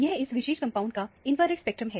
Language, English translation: Hindi, This is the infrared spectrum of this particular compound